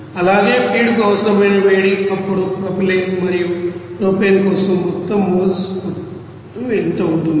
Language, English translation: Telugu, And also heat required for the feed then accordingly what will be the total amount of moles for that propylene and propane